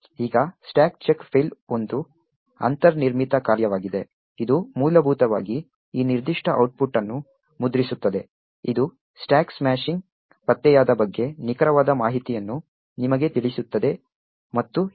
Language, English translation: Kannada, Now stack check fail is a built in function which essentially would print out this particular output which tells you the exact information about where the stack smashing was detected and so on